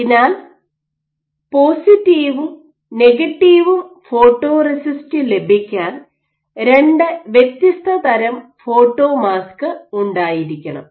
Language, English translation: Malayalam, So, in order to have positive and negative photoresist you also will have two different types of photomask